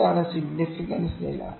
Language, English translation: Malayalam, This is significance level